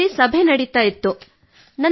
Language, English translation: Kannada, There was a meeting in the school